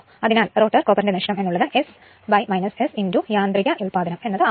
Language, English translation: Malayalam, Therefore rotor copper loss will be S upon minus S into mechanical output